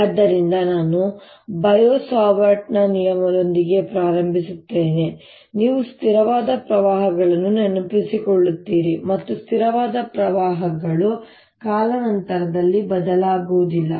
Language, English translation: Kannada, so let me start with bio savart law, which you recall, for steady currents and what you mean by steady currents